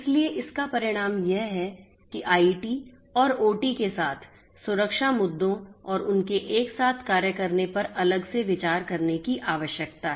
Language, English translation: Hindi, So, consequently one needs to consider the security issues with IT and OT and their convergence separately